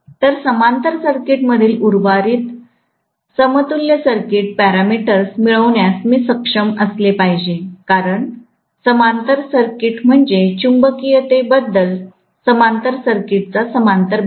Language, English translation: Marathi, So, I should be able to get rest of the equivalent circuit parameters in the parallel circuit because the parallel circuit is the one which is talking so much about magnetism, the parallel portion of the equivalent circuit